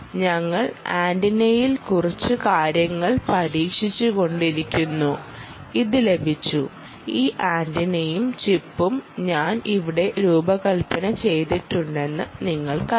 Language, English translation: Malayalam, we were trying to few things and we were trying a few things in the antenna and got this, and you know i design this antenna and the chip here and you can see these wires are used for connecting sensors